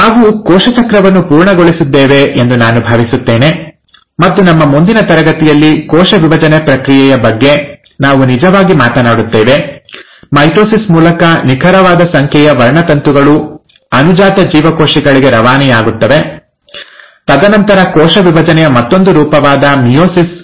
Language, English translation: Kannada, I think with that, we have covered cell cycle, and in our next class, we will actually talk about the process of cell division, that is how exact number of chromosomes get passed on to the daughter cells through mitosis, and then another form of cell division, which is meiosis